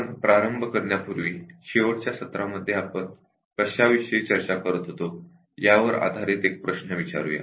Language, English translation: Marathi, Before we get started will just ask one question based on what we were discussing in the last session